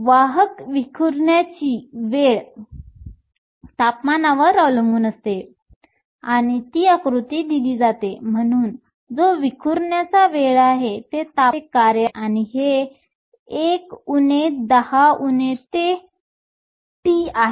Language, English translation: Marathi, The carriers scattering time is temperature dependent and that is given of the form, so tau which is your scattering time is a function of temperature, and this is 1 minus 10 to the minus t